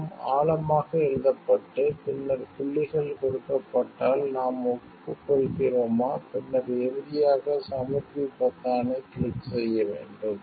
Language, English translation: Tamil, And written in depth and, then points are given do we agree do we agree, do we agree and then finally, we have to click the submit button